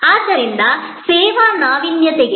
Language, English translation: Kannada, So, this is a good model for service innovation